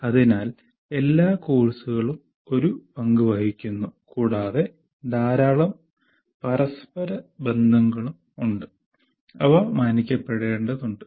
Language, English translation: Malayalam, So, all the courses are are playing a role and there are lots of interrelationships